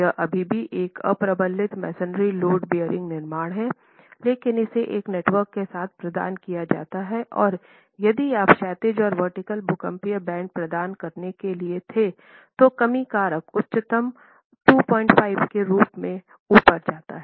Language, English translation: Hindi, It's still an unreinforced masonry load bearing construction, provided with this sort of a network and if you were to provide horizontal and vertical seismic bands the reduction factor goes up as high as 2